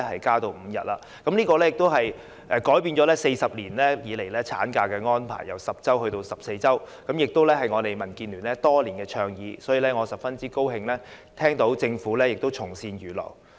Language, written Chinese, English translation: Cantonese, 今次施政報告的建議改變了40年以來產假的安排，法定產假由10周增至14周，這亦是民建聯多年來的倡議，所以，我十分高興政府從善如流。, The proposal in the current Policy Address has changed the 40 - year statutory maternity leave arrangement by increasing it from 10 weeks to 14 weeks which has been advocated by DAB for many years . Therefore I am very pleased that the Government has heeded good advice and acted accordingly